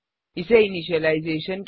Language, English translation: Hindi, This is called as initialization